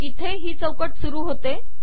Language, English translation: Marathi, So this is where the frame starts